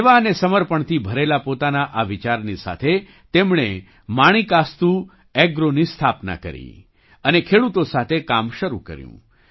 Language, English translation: Gujarati, With this thinking full of service and dedication, they established Manikastu Agro and started working with the farmers